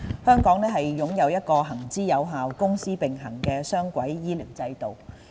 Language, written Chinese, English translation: Cantonese, 香港擁有一個行之有效、公私營並行的雙軌醫療制度。, The healthcare system of Hong Kong runs on an effective dual - track basis encompassing both public and private elements